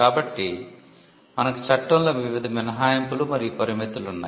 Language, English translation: Telugu, So, that is the reason why we have various exceptions and limitations included in the law